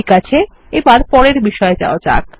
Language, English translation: Bengali, Okay, let us go to the next topic now